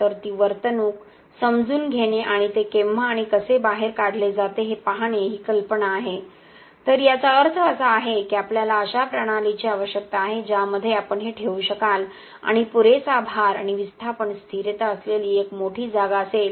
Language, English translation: Marathi, So, the idea is to understand that behaviour and see when and how it pulls out okay, so this also means that we need a system that is having a large enough space that you can put this and having enough load and having a displacement stability to do this test well